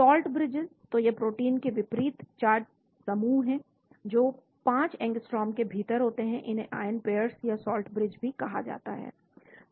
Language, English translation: Hindi, Salt bridges, so these are oppositely charged groups in proteins within 5 angstroms, they are also called ion pairs or salt bridges